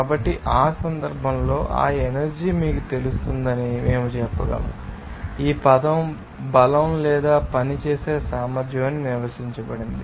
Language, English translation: Telugu, So, in that case, we can say that that energy can be you know, defined as the term is strength or ability to work